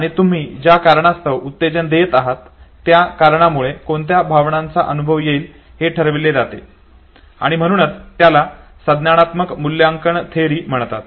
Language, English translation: Marathi, And this state of arousal the reason that you give, that reason determines what emotion will be experienced and therefore it is called cognitive appraisal theory